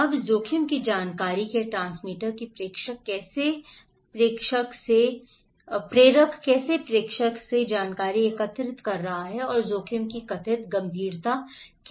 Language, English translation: Hindi, Now, the transmitter of risk information, that how the sender is that the transmitter is collecting the informations from the senders and the perceived seriousness of the risk okay